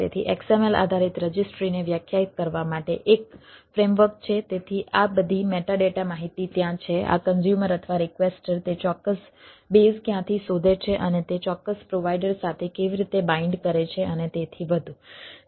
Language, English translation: Gujarati, so a frame work to define xml based registries so that all these meta data informations are there, where, from the, this consumer or the requestor look for that particular bases and how to binding with that particular provider and so and so forth